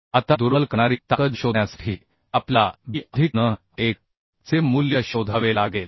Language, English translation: Marathi, Now to find out the crippling strength, we have to find out the value of b plus n1